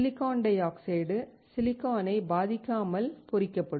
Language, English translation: Tamil, Silicon dioxide will get etched without affecting silicon